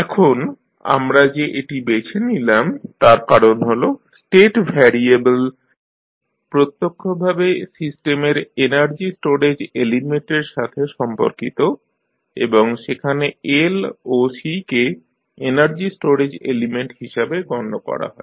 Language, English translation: Bengali, Now, why we are choosing this because the state variables are directly related to energy storage element of the system and in that L and C are considered to be the energy storage elements